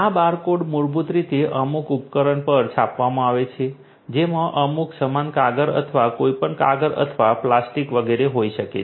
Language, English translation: Gujarati, These barcodes are basically printed on some device some goods may be paper or whatever paper or plastic and etcetera